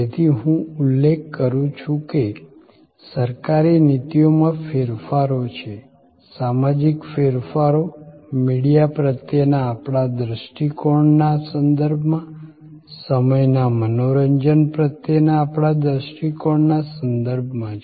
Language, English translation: Gujarati, So, I mention that there are changes in government policies, there are social changes with respect to our attitude towards media, with respect to our attitude towards time entertainment